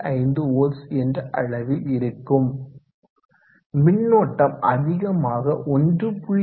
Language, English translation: Tamil, 5 volts and the current is close to 1